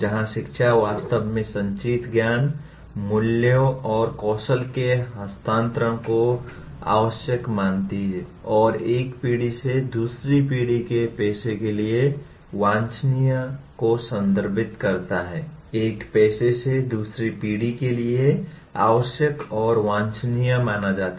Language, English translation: Hindi, Wherein in education really refers to transfer of accumulated knowledge, values and skills considered necessary and desirable for a profession from one generation to another